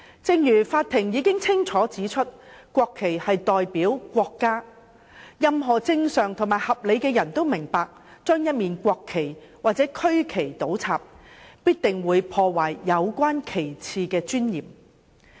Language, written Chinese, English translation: Cantonese, 正如法庭已經清楚指出，國旗代表國家，任何正常和合理的人都明白，將國旗或區旗倒插必定會破壞有關旗幟的尊嚴。, As clearly pointed out by the Court any normal and reasonable person would understand that inverting the national flag which represents the country or the regional flag will definitely tarnish the dignity of the flags